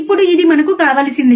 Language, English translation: Telugu, Now this is what we want